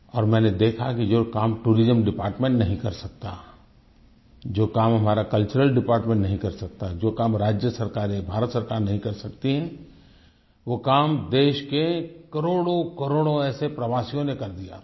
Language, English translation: Hindi, And I have noticed that the kind of work which our Department of Tourism, our Department of Culture, State Governments and the Government of India can't do, that kind of work has been accomplished by millions and millions of Indian tourists